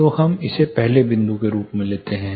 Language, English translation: Hindi, So, let us take that as a first point